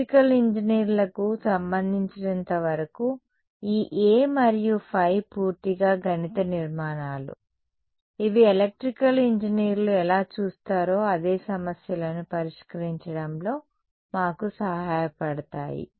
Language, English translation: Telugu, As far as electrical engineers are concerned this A and phi are purely mathematical constructs which are helping us to solve the problems that is how electrical engineers look at it